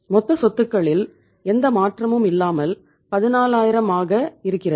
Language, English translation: Tamil, Total assets remaining the same that is 14000